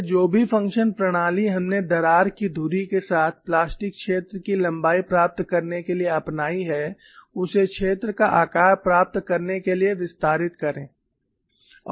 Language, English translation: Hindi, So, whatever the methodology that we have adopted to get the length of the plastic zone along the crack axis, extended to get the shape of the zone